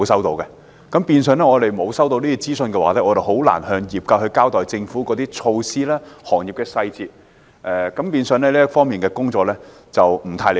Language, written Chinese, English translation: Cantonese, 由於我們沒有收到任何資訊，所以很難向業界交代政府措施的細節，導致這方面的工作有欠理想。, As no information has been received it is therefore very difficult for us to brief members of the trade about the details of the government measures . As a result our work in this respect has been unsatisfactory